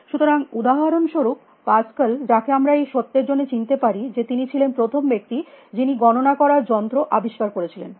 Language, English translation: Bengali, So, Pascal for example, we will so those can recognize him here for the fact that he was the first person to invent a calculating machine